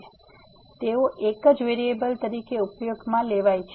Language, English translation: Gujarati, So, they are used to be only one variable